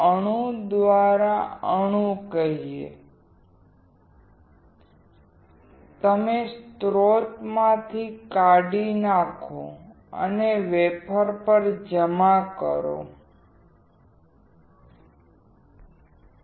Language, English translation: Gujarati, Atom by atom, you actually deposit on the wafer